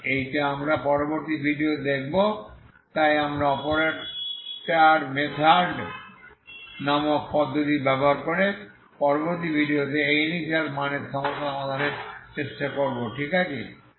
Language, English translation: Bengali, So this is what we will see in the next video so we will try to solve this initial value problem in the next video along with using the method called operator method, okay